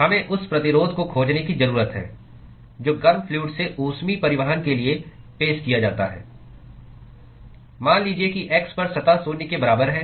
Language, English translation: Hindi, We need to find the resistance which is offered for heat transport from the hot fluid to the let us say surface at x is equal to zero